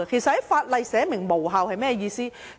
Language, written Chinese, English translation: Cantonese, 在法例中訂明無效是甚麼意思呢？, What does it mean by being specified in the law to be void?